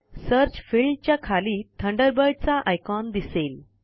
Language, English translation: Marathi, The Thunderbird icon appears under the Search field